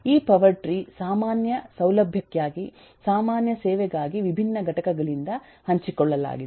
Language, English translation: Kannada, this power tree is there for a common facility, common service that is shared by different components